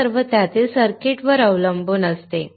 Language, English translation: Marathi, All these depends on the circuit within it